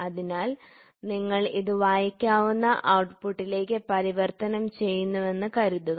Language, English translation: Malayalam, So, suppose you has to be converted into a readable output